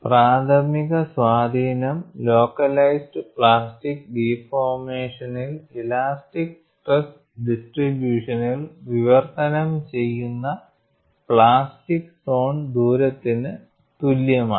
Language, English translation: Malayalam, The primary influence of localized plastic deformation on the elastic stress distribution is to translate it by an amount, equal to the plastic zone radius